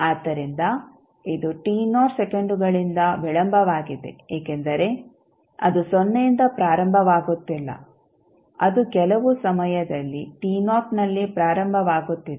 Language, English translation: Kannada, So, it is delayed by t naught seconds because it is starting not from 0 it is starting at some time t naught